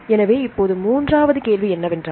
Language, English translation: Tamil, So, now the third question